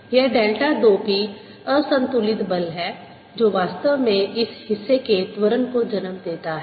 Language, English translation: Hindi, this delta two p is the unbalance force that actually gives rise to the acceleration of this portion